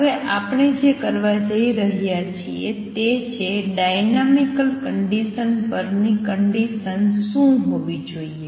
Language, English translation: Gujarati, What we are going to do now is write what the condition on the dynamical condition should be